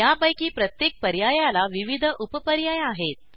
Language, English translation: Marathi, Each of these have various sub options as well